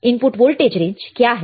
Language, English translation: Hindi, What is the input voltage range